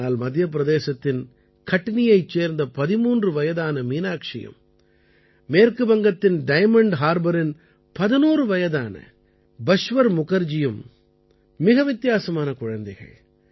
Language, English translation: Tamil, You know how much kids love piggy banks, but 13yearold Meenakshi from Katni district of MP and 11yearold Bashwar Mukherjee from Diamond Harbor in West Bengal are both different kids